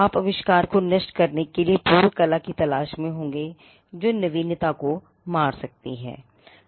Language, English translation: Hindi, You would be looking for prior art to destroy the invention, or which can kill the novelty